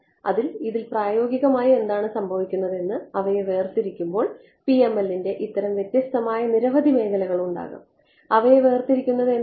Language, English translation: Malayalam, So, this in practice what happens is you break up this there are these many distinct regions of the PML what is distinct about them